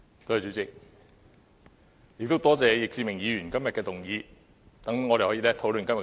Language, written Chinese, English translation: Cantonese, 多謝易志明議員今天的議案，讓我們可以討論這議題。, I thank Mr Frankie YICK for moving this motion today so that we can have a discussion on this topic